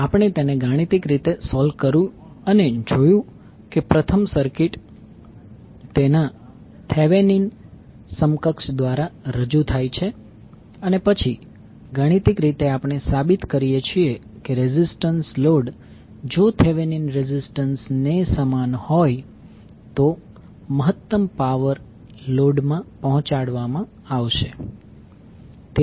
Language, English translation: Gujarati, We solved mathematically and saw that the first the circuit is represented by its Thevenin equivalent and then mathematically we prove that maximum power would be deliver to the load, if load resistance is equal to Thevenin resistance